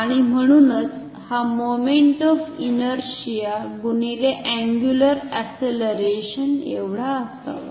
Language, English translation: Marathi, And therefore, this should be equal to the moment of inertia multiplied by the angular acceleration ok